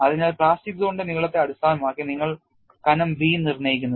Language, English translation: Malayalam, So, you determine the thickness B based on the plastic zone length